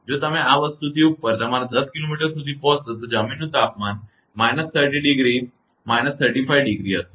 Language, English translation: Gujarati, If you reach your 10 kilometer above this thing ground temperature is minus 30 minus 35 degree Celsius